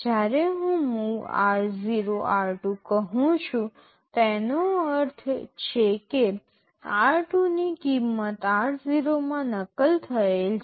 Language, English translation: Gujarati, When I say MOV r0,r2 it means the value of r2 is copied into r0